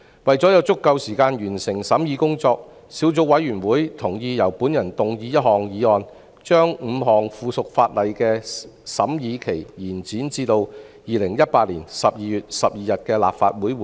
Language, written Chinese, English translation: Cantonese, 為了有足夠時間完成審議工作，小組委員會同意由我動議一項議案，將5項附屬法例的審議期限延展至2018年12月12日的立法會會議。, To allow sufficient time for the completion of the scrutiny the Subcommittee agreed that a motion be moved by me to extend the scrutiny period of the five items of subsidiary legislation to the Legislative Council meeting of 12 December 2018